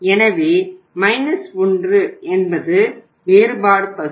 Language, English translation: Tamil, So minus 1 means which is the difference part